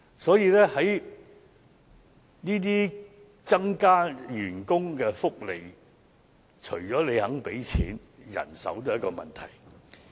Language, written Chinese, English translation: Cantonese, 所以，增加員工福利除了要願意付錢，人手也是一個問題。, Hence apart from the willingness to pay money manpower is also an issue in increasing staff benefits